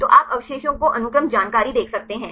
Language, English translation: Hindi, So, you can see the residue the sequence information